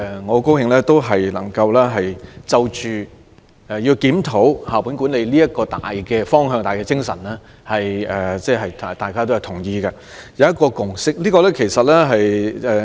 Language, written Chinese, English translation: Cantonese, 我很高興今天數項修正案對於檢討校本管理的大方向、大精神均表示同意，並達成共識。, I am delighted that the amendments today agree with the general direction and spirit of reviewing school - based management and a consensus has been reached